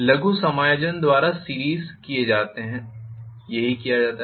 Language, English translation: Hindi, Minor adjustments are made by the series that is what is done